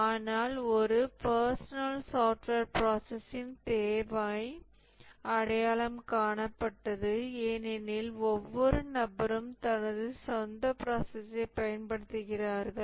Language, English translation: Tamil, But the need for a personal software process was identified because every individual uses his own personal process